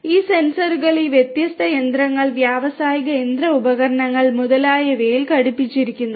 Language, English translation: Malayalam, These sensors fitted to this different machinery, industrial machinery devices etcetera which are working in the field and so on